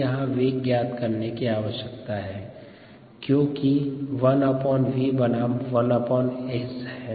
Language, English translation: Hindi, we need velocities because we need to plot one by v versus one by s